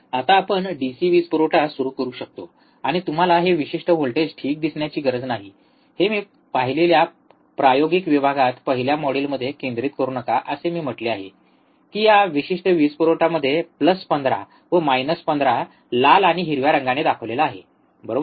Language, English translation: Marathi, Now, we can start the DC power supply, and you do not have to see this particular voltages ok, do not do not concentrate this in the first module in the experimental section I have see, I have said that this particular power supply it has plus 15 minus 15 here red black and green, right